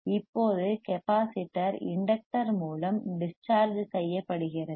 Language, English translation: Tamil, Now, the capacitor is discharging through the inductor and